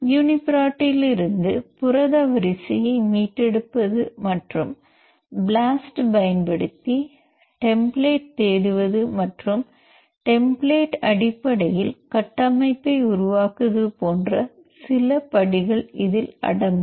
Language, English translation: Tamil, So, it includes few steps like retrieving protein sequence from uniprot, and searching template using blast and building the structure based on the template